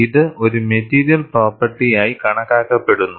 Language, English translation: Malayalam, And this is taken as a material property